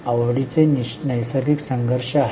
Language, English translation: Marathi, There are natural conflicts of interest